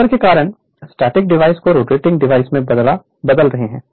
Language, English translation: Hindi, The difference is transforming the static device it is a will be a rotating device